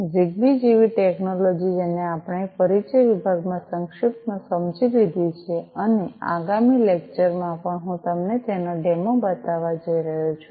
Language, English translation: Gujarati, Technologies such as ZigBee, which we have briefly understood in the introduction section and also in the next lecture I am going to show you a demo of